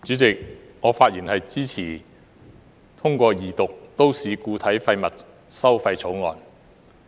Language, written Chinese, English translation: Cantonese, 主席，我發言支持通過二讀《2018年廢物處置條例草案》。, President I speak in support of the passage of the Second Reading of the Waste Disposal Amendment Bill 2018 the Bill